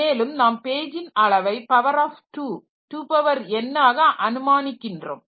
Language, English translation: Tamil, And we assume the page size to be a power of 2, 2 power n